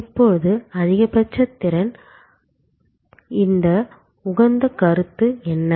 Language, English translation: Tamil, Now, what is this optimal concept, as supposed to the maximum capacity concepts